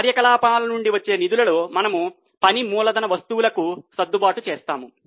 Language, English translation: Telugu, Now, in funds from operations, we will make adjustment for working capital items